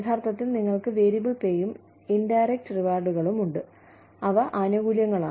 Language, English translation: Malayalam, Actually, you have the variable pay, and indirect rewards